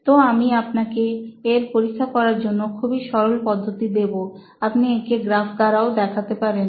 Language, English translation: Bengali, So I’ll give you a very very simple way to test this, also graphically you can represent this